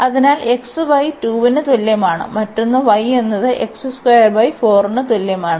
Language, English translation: Malayalam, So, when x is 1 the y is 3